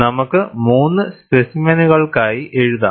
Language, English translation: Malayalam, And we may write, just for three specimens